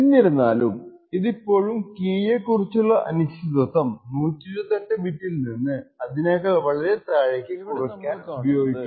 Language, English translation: Malayalam, Nevertheless it can still be used to reduce the uncertainty about the key from 128 bits to something much more lower